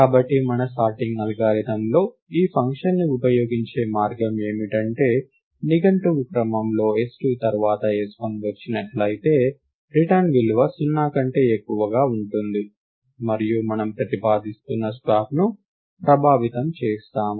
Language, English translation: Telugu, Therefore, the way of using this function in our sorting algorithm will be that, if s1 is lexicographically later than s2 in the dictionary order, then the return value will be greater than 0, and we will effect a swap that is how we are proposing to use the compare function in our sorting algorithm